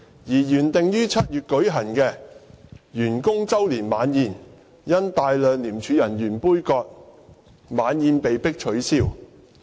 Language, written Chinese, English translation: Cantonese, 而原定於7月舉行的員工周年晚宴，因大量廉署人員杯葛而被迫取消。, Moreover the annual dinner scheduled to be held in July was cancelled due to boycott by a large number of ICAC officers